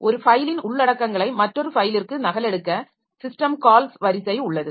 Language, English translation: Tamil, So, system calls sequence to copy the contents of one file to another